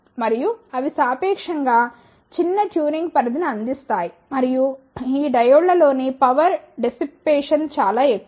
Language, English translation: Telugu, And, they provide relatively small tuning range and the power dissipation in these diodes are relatively high